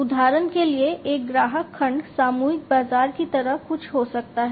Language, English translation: Hindi, For example, one customer segment could be something like the mass market